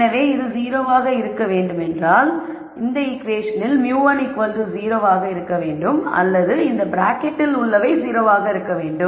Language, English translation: Tamil, So, for this to be 0 you could say in this equation either mu 1 is 0 or whatever is inside the bracket is 0